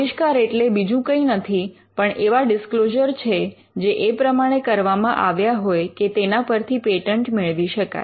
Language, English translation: Gujarati, Inventions are nothing but disclosures which are made in a way in which you can get a patent granted